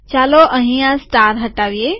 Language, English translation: Gujarati, Lets remove the star here